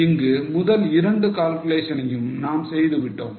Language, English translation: Tamil, So, first two calculations we have done